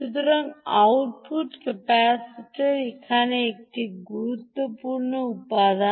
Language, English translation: Bengali, ok, so the output capacitor is an important component here